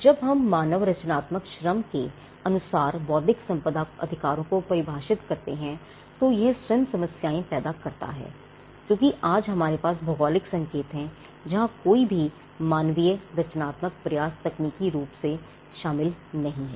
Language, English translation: Hindi, When we pick the definition of intellectual property right to human creative Labour that itself creates some problems because, we have today something called geographical indications where no human creative effort is technically involved